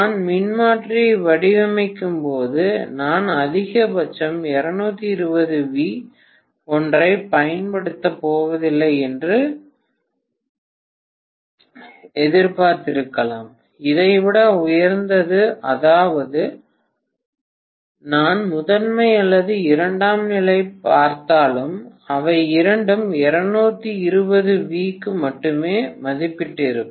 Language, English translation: Tamil, When I design the transformer I might have anticipated that I am going to apply a maximum of 220 V nothing like, you know higher than that, whether I look at the primary or secondary, both of them would have been rated for 220 V only, nothing more than that